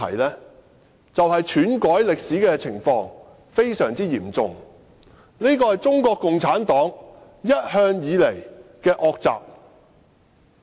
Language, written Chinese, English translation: Cantonese, 便是篡改歷史的情況非常嚴重，而這向來是中國共產黨的惡習。, It is the serious distortion of history which has all along been the undesirable practice of the Communist Party of China